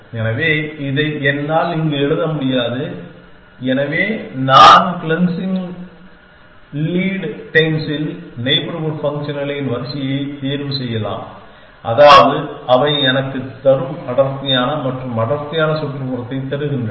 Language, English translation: Tamil, So, I cannot write this here, so I can choose a sequence of neighborhood functions, which are in cleansing lead dense, which means they give me denser and denser neighborhood